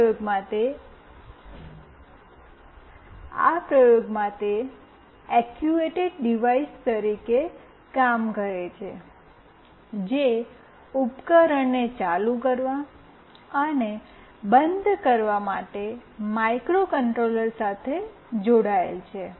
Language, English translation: Gujarati, In this experiment it is acting as a actuated device, which is connected to microcontroller to turn ON and OFF the appliance